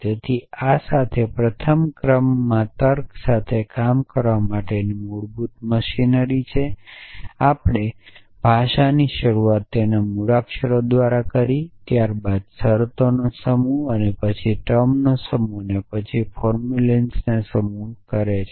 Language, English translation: Gujarati, So, with this have a basic machinery for working with first order logic we have define the language start it off by a alphabet then the set of terms then the set of atomic formulas and then the set of formulence